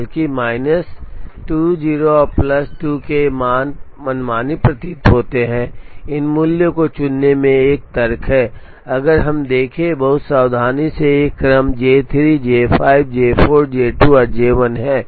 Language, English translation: Hindi, Even though these values of minus 2, 0 and plus 2 appear arbitrary, there is a rationale in choosing these values, if we see very carefully these sequences J 3, J 5, J 4, J 2 and J 1